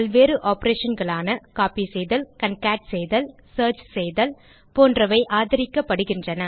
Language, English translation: Tamil, Various operations such as copying, concatenation, searching etc are supported